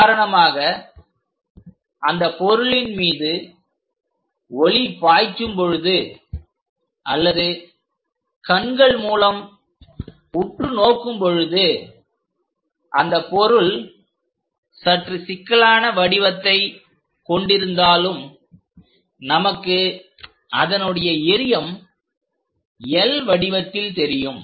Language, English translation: Tamil, So, for example, for the same object if light is passing or through the eye if we are observing for this, though the object might be slightly having complicated shape, but we will see only like that L shape for the projection